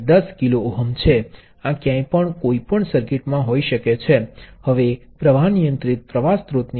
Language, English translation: Gujarati, 5 milli amps to flow through the circuit, so that is the current controlled current source